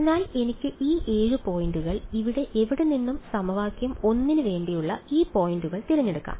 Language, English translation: Malayalam, So, I could choose these 7 points anywhere here, I could choose these points like this right for this is for equation 1